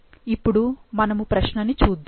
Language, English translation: Telugu, Now, now let's look into the problem